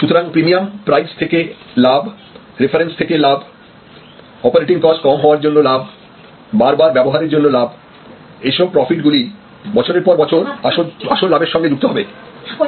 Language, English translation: Bengali, So, profit from price premium, profit from reference, profit from reduced operating cost, profit from increased usage, these are all that piles up on top of the based profit year after year